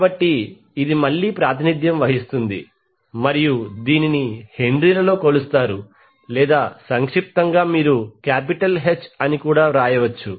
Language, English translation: Telugu, So this will again be represented it will be measured in Henry’s or in short you can write as capital H